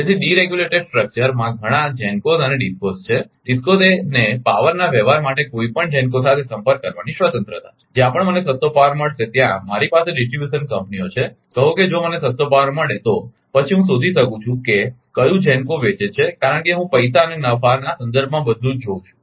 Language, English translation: Gujarati, So, as there are several GENCOs and DISCOs in the deregulated structure, a DISCO has the freedom to have a contact with any GENCO for transaction of power, wherever I will get cheapest power, I have a distribution companies say, if I get a cheapest power, then I can find out which GENCO will sell because I will see everything in terms of money and profit right